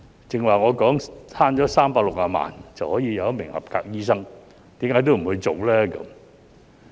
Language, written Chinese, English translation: Cantonese, 剛才我說節省360萬元，便可多一名合格醫生，為何也不去做呢？, I just mentioned that there will be 3.6 million of savings as well as an additional qualified doctor so why do we not do it?